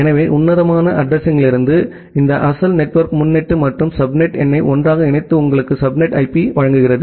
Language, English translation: Tamil, So, this original network prefix from classful addressing and a subnet number that together gives you the subnet IP